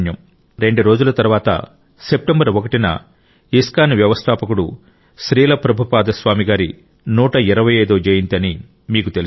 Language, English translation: Telugu, You know that just after two days, on the 1st of September, we have the 125th birth anniversary of the founder of ISKCON Shri Prabhupaad Swami ji